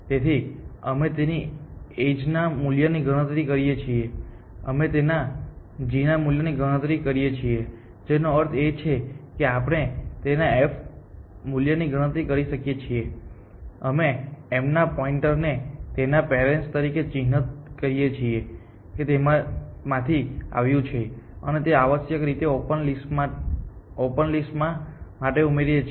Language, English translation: Gujarati, So, we compute its edge value we compute its g value which means we can compute its f value, we mark the pointer of m as its parent that it came from and add it to open essentially